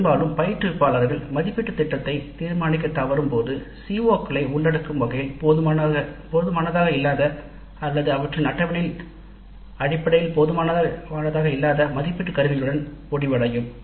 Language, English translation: Tamil, Often the instructors when they fail to determine the assessment plan may end up with assessment instruments which are inadequate in terms of covering the COs or inadequate in terms of their schedule